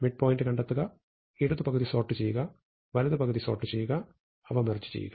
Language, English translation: Malayalam, Find the midpoint, sort the left half, sort the right half and merge them